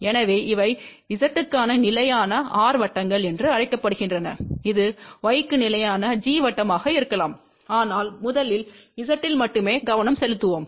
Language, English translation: Tamil, So, these are known as constant r circle; for Z, it can be constant g circle for y, but let us first focus only on z